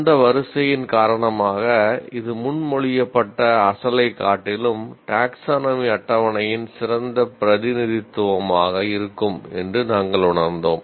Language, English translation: Tamil, So because of that sequence, we felt this would be a better representation of the taxonomy table rather than the original one that was proposed